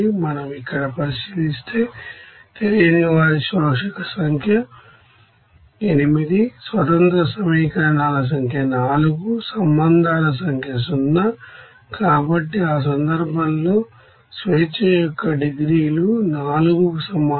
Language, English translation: Telugu, Like if we consider here absorber number of unknowns will be 8, number of independent equations will be 4, number of relations will be 0, so in that case degrees of freedom will be equals to four